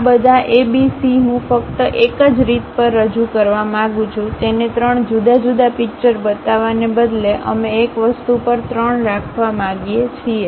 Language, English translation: Gujarati, All these A, B, C I would like to represent only on one picture; instead of showing it three different pictures, we would like to have three on one thing